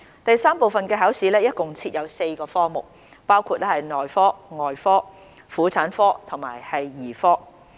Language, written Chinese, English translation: Cantonese, 第三部分的考試共設有4個科目，包括內科、外科、婦產科及兒科。, There are four disciplines under Part III―The Clinical Examination ie . Medicine Surgery Obstetrics and Gynaecology and Paediatrics